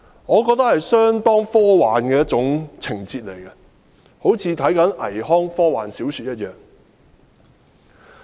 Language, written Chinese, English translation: Cantonese, 我認為這是相當科幻的一種情節，好像看倪匡的科幻小說一樣。, To me this is like a plot in the science fiction novels written by NI Kuang